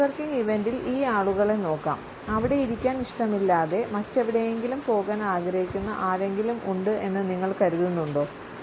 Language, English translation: Malayalam, Let us take a look at these folks at a networking event which one do you think would rather be someplace else